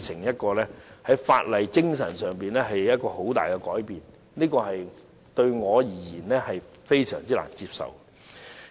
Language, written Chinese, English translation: Cantonese, 這是法例精神上一個很大的改變，對我而言，非常難接受。, There is a big change to the spirit of the ordinance . To me this is hard to accept